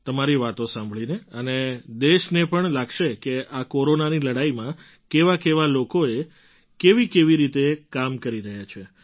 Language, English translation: Gujarati, And even the country will get to know how people are working in this fight against Corona